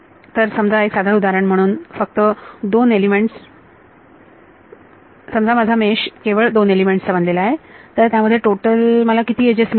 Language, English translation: Marathi, So, supposing this very simplistic example of just 2 elements, supposing my mesh was just made of 2 elements then how many how many edges do I have in total